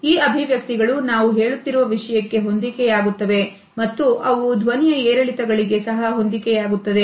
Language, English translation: Kannada, These expressions match the content of what we are saying and they also match the voice modulations